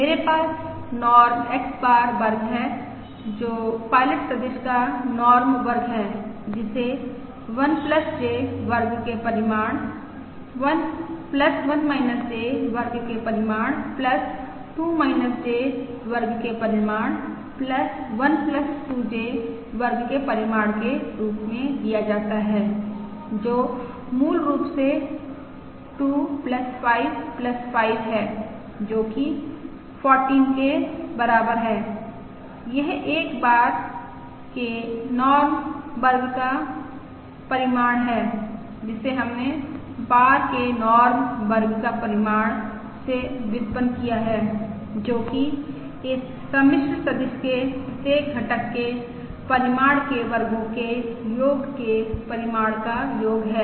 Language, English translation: Hindi, I have Norm X bar square, which is the norm square of the pilot vector, that is given as magnitude of 1plus J square, plus magnitude of 1 minus J square, plus magnitude of 2 minus J square, plus magnitude 1plus 2J square, which is basically 2 plus2plus5plus5, which is equal to 14